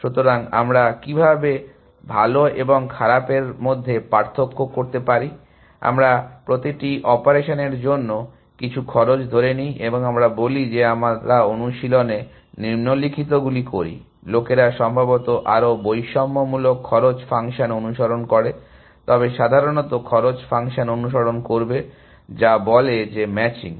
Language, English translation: Bengali, So, how do we differentiate between good and bad, we give some cost to every operation, and let us say we do the following in practice, people follow probably more discriminative cost function, but will follow simple cost function, which says that matching